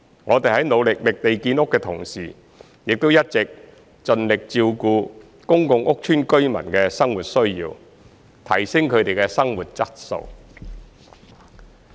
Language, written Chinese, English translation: Cantonese, 我們在努力覓地建屋的同時，亦一直盡力照顧公共屋邨居民的生活需要，提升他們的生活質素。, While we strive to identify sites for housing development we have also been doing our best to cater for the everyday needs of residents in public housing estates and enhance their quality of life